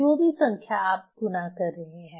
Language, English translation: Hindi, So, whatever the numbers you are multiplying